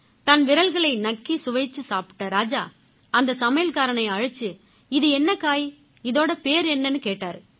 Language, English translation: Tamil, Licking his fingers, the king called the cook and asked… "What vegetable is it